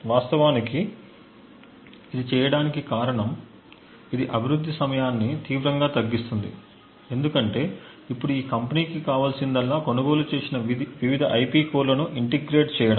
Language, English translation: Telugu, The reason this is actually done is that it drastically reduces development time because now all that is required by this company is to essentially integrate various IP cores which is purchased